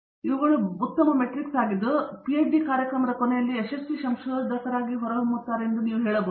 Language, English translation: Kannada, All those are good metrics which you can say that it is a successful researcher at the end of his PhD program